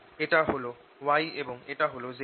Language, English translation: Bengali, so i have b, y and b z